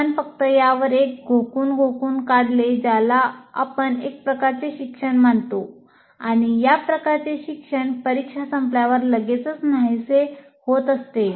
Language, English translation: Marathi, That we consider as kind of learning and that kind of learning will vanish immediately after the exam is over